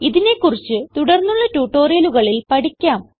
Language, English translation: Malayalam, We will learn about these in the coming tutorials